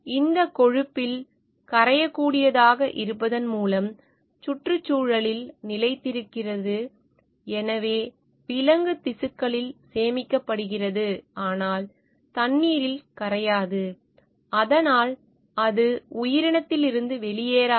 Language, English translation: Tamil, It also persists in the environment by being soluble in fat and hence storable in animal tissue, but not soluble in water, so that it is not flushed out of the organism